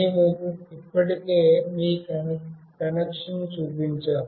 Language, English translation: Telugu, We have already shown you the connection